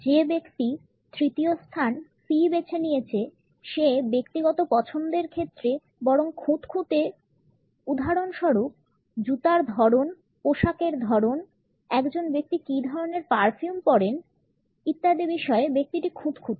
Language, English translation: Bengali, The person who has opted for the third position C is rather picky and choosy in terms of personal choices; for example, the type of shoes, the type of clothes, the perfumes one wears etcetera the person would be rather choosy about it